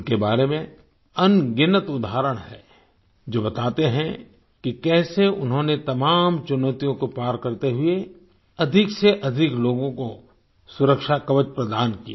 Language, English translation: Hindi, There are innumerable instances about them that convey how they crossed all hurdles and provided the security shield to the maximum number of people